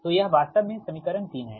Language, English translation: Hindi, so this is actually equation three, right